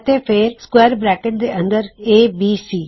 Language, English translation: Punjabi, And then inside square brackets, ABC